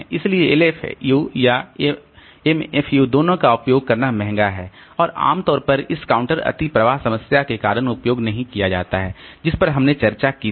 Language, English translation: Hindi, So both LFU and MFU are expensive to use and are not commonly used because of this counter overflow problem that we discussed